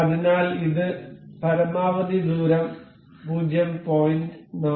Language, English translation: Malayalam, So, it has set up to a maximum distance up to 0